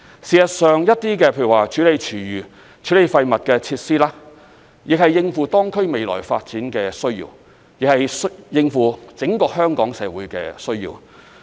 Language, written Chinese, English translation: Cantonese, 事實上，一些設施，例如處理廚餘和廢物的設施，亦是為應付當區未來發展的需要，或是為應付整個香港社會的需要。, In fact some facilities such as food waste recovery plant and waste treatment plant are planned for the future development needs of the area or for the needs of Hong Kong as a whole